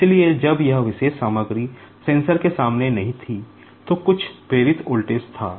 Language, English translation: Hindi, So, when this particular material was not there in front of the sensor, there was some induced voltage